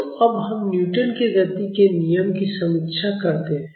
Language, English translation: Hindi, So, now, let us review Newton’s law of motion